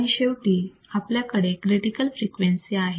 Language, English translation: Marathi, Then finally, we have critical frequency